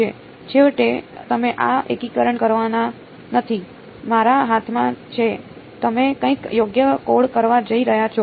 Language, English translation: Gujarati, It is finally, you are not going to do this integration is in my hand you are going to code up something right